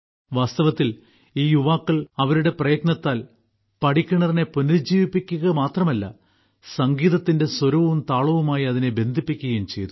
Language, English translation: Malayalam, In fact, with their efforts, these youths have not only rejuvenated the step well, but have also linked it to the notes and melody of the music